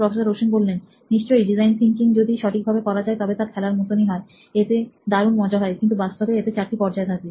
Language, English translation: Bengali, Exactly, so design thinking if you do it right can be like a game, it can be a lot of fun, but essentially, it goes through 4 phases